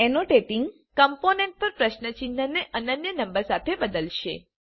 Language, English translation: Gujarati, Annotating will replace the question marks on the components with unique numbers